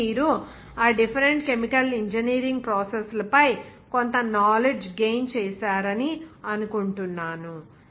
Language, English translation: Telugu, So I think you have gained some knowledge on that different chemical engineering process